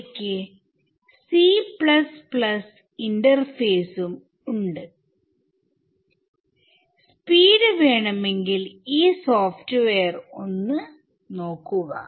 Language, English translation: Malayalam, They also have a c plus plus interface, if you wanted speed ok, have a look at this software